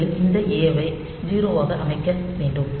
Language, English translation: Tamil, First, this A has to be set to 0